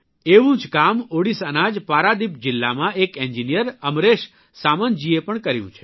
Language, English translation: Gujarati, An engineer AmreshSamantji has done similar work in Paradip district of Odisha